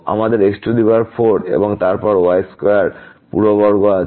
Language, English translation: Bengali, We have their 4 and then square whole square